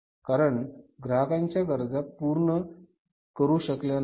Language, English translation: Marathi, Because they were not able to serve the customers needs